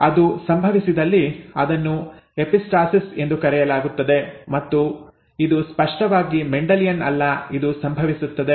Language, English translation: Kannada, If that happens then it is called epistasis and again this is clearly non Mendelian, this happens